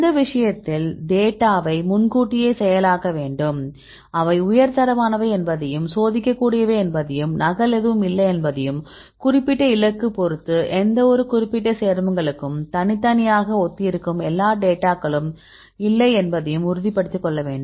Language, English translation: Tamil, So, in this case we need to preprocess the data, to ensure that the data are high quality they are testable and there are no duplication of data right and all the data which resembles uniquely for any specific compounds, with respect to specific target right